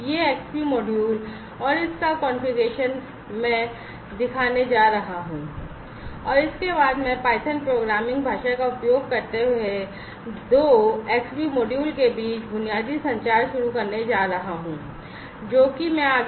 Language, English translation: Hindi, This Xbee module and its configuration I am going to show and thereafter I am going to introduce the basic communication between 2 Xbee modules, using python programming language, that I am going to do next